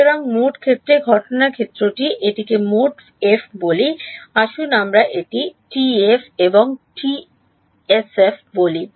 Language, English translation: Bengali, So, incident field in the total let us call it total F let us call it TF and SF ok